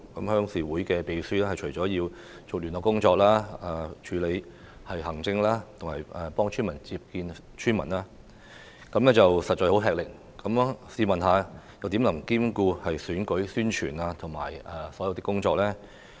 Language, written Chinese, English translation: Cantonese, 鄉事會的秘書除了負責聯絡工作外，還要處理行政工作及接見村民，實在很吃力，試問又怎能兼顧選舉的宣傳及其他工作呢？, The secretaries of RCs are not only responsible for liaison but have to deal with administrative work and meet with villagers as well which is indeed strenuous . How can they take up election campaign and other work at the same time?